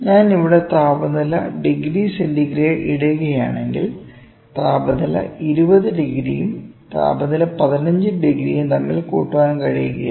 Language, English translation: Malayalam, If, I put temperature degree centigrade here this is not recommend we cannot say that the temperature 20 degree plus temperature another 15 degree